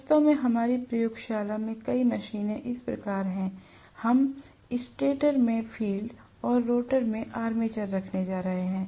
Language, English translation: Hindi, In fact, many of the machines in our laboratory are that way, we are going to have the armature in the rotor and field in the stator, right